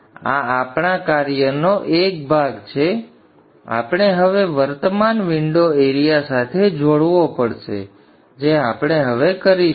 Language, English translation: Gujarati, We now have to relate the current to the window area which we will do now